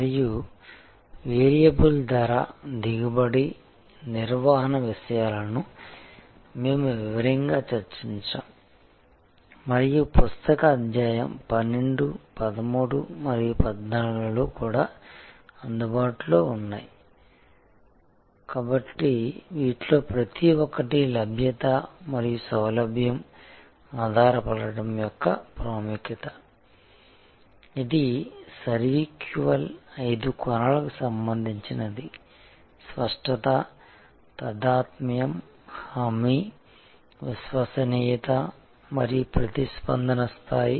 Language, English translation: Telugu, And variable pricing yield management topics that we had discussed in detail and also available in the book chapter 12, 13 and 14, so each one of these, the importance of availability and convenience dependability, which is also related to the SERVQUAL five dimensions of tangibility, empathy, assurance, reliability and response level